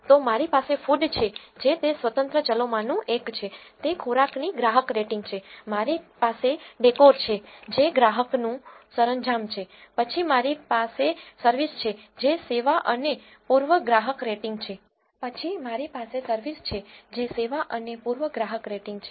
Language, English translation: Gujarati, So, I have food which is one of the independent variables it, is the customer rating of the food then I have decor which is the customer rating of decor, then I have service which is the customer rating of the service and east